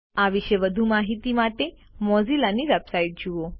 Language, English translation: Gujarati, For more information about this, please visit the Mozilla website